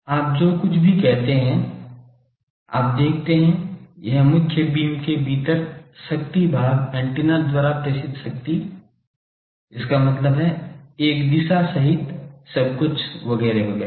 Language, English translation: Hindi, You see whatever I said, the power transmitted within main beam divided by power transmitted by the antenna; that means, including a side, lobes etcetera everything